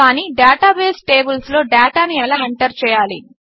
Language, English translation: Telugu, But, how do we enter data into the database tables